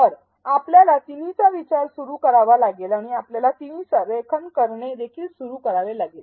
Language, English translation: Marathi, So, we have to start thinking of all three and we also have to start aligning all the three